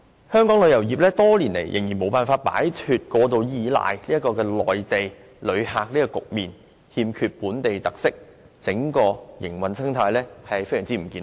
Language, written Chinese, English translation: Cantonese, 香港旅遊業多年來仍然無法擺脫過度倚賴內地旅客的局面，欠缺本地特色，整個營運生態極不健康。, Over the years Hong Kongs tourism industry has been unable to shake off the excessive reliance on Mainland visitors lacking in local characteristics . The whole ecology of the operation is extremely unhealthy